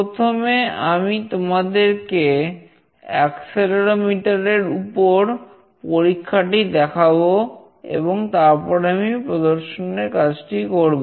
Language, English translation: Bengali, Firstly, I will show you the experiment with accelerometer, and then I will do the demonstration